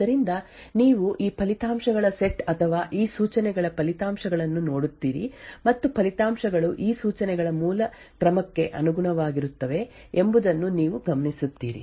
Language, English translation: Kannada, So, you look at this set of results or the results of these instructions and what you notice is that the results correspond to the original ordering of these instructions